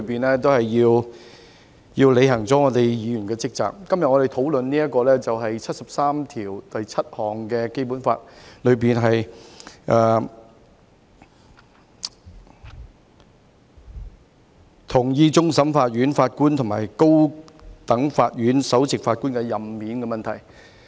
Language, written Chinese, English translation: Cantonese, 在議會內，要履行議員的職責，我們今天討論的，是根據《基本法》第七十三條第七項，同意終審法院法官和高等法院首席法官的任免問題。, In the legislature we need to perform our duties as Members . Our discussion today concerns endorsing the appointment and removal of the judges of the Court of Final Appeal CFA and the Chief Judge of the High Court under Article 737 of the Basic Law